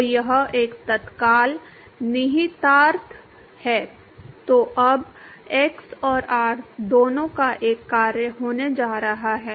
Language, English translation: Hindi, So, that is an immediate implication now going to be a function of both x and r